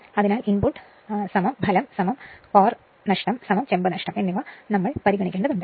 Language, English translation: Malayalam, So, input is equal to output plus core loss plus copper loss both we have to consider